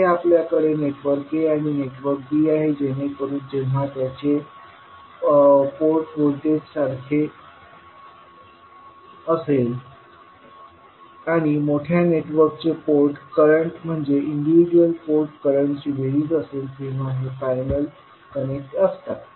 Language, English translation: Marathi, So here we have network a and network b, so these are connected in parallel when their port voltages are equal and port currents of the larger networks are the sum of individual port currents